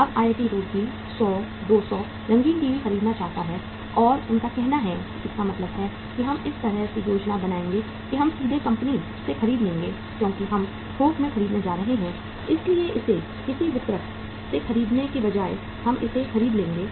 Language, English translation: Hindi, Now IIT Roorkee want to buy 100, 200 colour TVs and they say they means plan it this way that we will directly buy from the company because we are going to buy in bulk so rather than buying it from some distributor we will buy it from the company directly or even from the distributor also